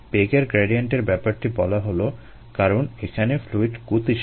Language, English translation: Bengali, the velocity gradients are brought about because of fluid is moving